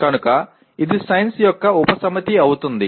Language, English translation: Telugu, So it becomes a subset of science